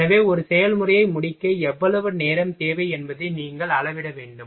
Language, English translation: Tamil, So, you will have to measure how much time required to complete the one process